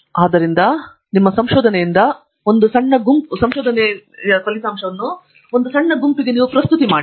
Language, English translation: Kannada, So, run your research through you know, make a small group presentation